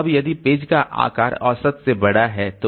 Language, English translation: Hindi, So page size should be high